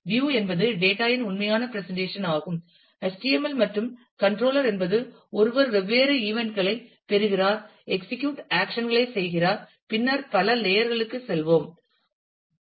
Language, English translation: Tamil, View is the actual presentation of the data, that HTML and controller is one who, receives different events execute actions and so on and then, we will go into the other layers